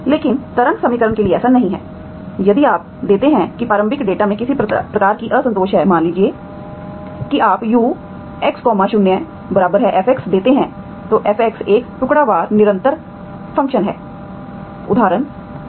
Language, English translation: Hindi, But that is not the case for the wave equation, if you give the initial data is having some kind of discontinuity, okay, suppose you give U of X0 equal to fx, that fx is a piecewise continuous function for example